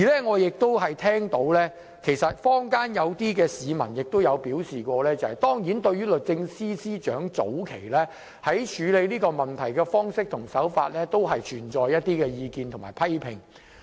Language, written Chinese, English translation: Cantonese, 我聽到坊間有些市民表示......當然，對於律政司司長早期處理問題的方式和手法，確實有一些意見和批評。, I have heard some comments in the community Of course the Secretary for Justices handing of the matter at the initial stage did attract certain views and criticisms